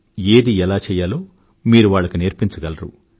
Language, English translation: Telugu, It is possible that you can teach them